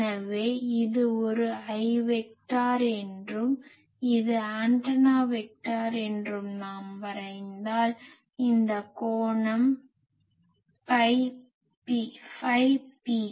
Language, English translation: Tamil, So, if we draw that this is the a i vector and this is the a antenna vector; then and this angle is phi p